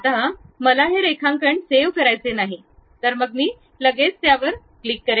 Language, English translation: Marathi, Now, I do not want to save this drawing, then I can straight away click mark it